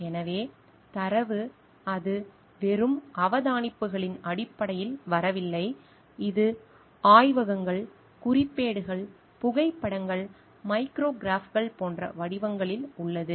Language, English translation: Tamil, So, data it is not just coming in terms of observations, it is in forms of recordings in laboratory, notebooks, photographs, micrographs